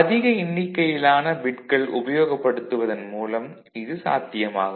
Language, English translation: Tamil, So, that is possible when we have more number of bits, more number of bits